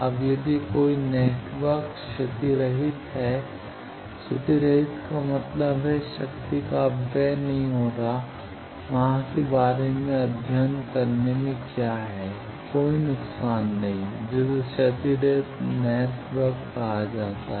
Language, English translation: Hindi, Now, if a network is lossless, lossless means there is no dissipation of power, there what about is in studying inside, there is no loss that is called the lossless network